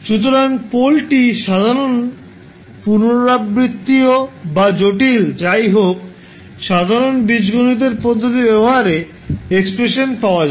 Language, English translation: Bengali, So, whether the pole is simple, repeated or complex, the general approach that can always be used in finding the expression is the method of Algebra